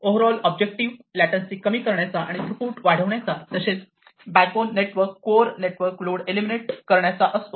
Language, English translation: Marathi, So, the overall objective is to reduce the latency increase throughput and eliminate load onto the backbone network, the core network